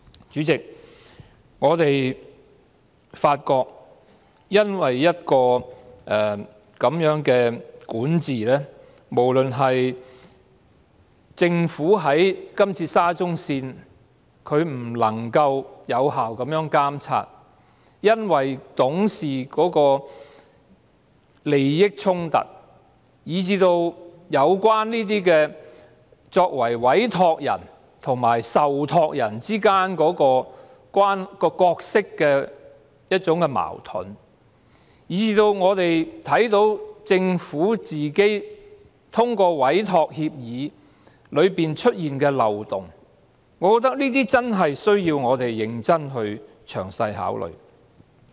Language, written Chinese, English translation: Cantonese, 主席，我們發現這樣的管治、政府在這次沙中線事件中未能有效作出監察，無論是因為董事的利益衝突，以至作為委託人和受託人之間的角色矛盾，以及我們看見政府在通過委託協議中出現的漏洞，我認為我們也真的須認真和詳細地考慮這些方面。, President we have observed such kind of governance the Governments failure to perform effective monitoring in the SCL incident―whether because of the conflict of interests among board members or the conflicting roles between the entrusting and entrusted parties―and the loopholes in the Governments approval of the Entrustment Agreement that have come to our attention . In my view we really must give serious and meticulous consideration to these aspects